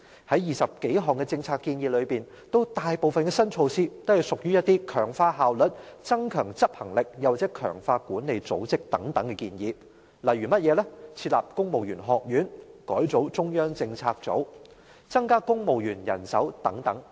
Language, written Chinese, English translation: Cantonese, 在20多項政策建議中，大部分新措施都屬於強化效率、增強執行力或強化管理組織等建議，例如設立公務員學院、改組中央政策組、增加公務員人手等。, Among the 20 - odd policy initiatives most of the new measures are meant to enhance efficiency step up enforcement power or strengthen management structures . Some examples are establishing a new civil service college revamping the Central Policy Unit and augmenting the civil service establishment